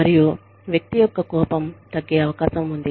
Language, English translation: Telugu, And, the person's anger is, likely to come down